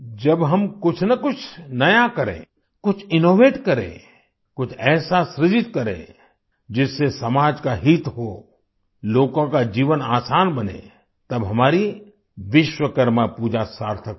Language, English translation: Hindi, When we do something new, innovate something, create something that will benefit the society, make people's life easier, then our Vishwakarma Puja will be meaningful